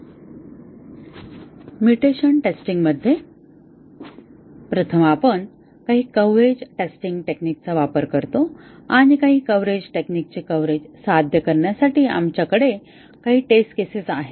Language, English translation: Marathi, In mutation testing, first we use certain coverage testing techniques and we have some test cases to achieve coverage of some coverage technique